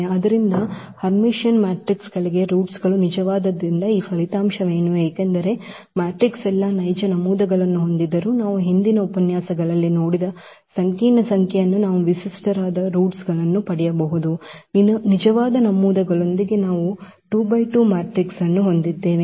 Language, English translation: Kannada, So, what is this result that for Hermitian matrices the roots are real because what we have also seen that though the matrix having all real entries, but we can get the characteristic roots as complex number we have seen in previous lectures one of the examples where we had a very simple 2 by 2 matrix with real entries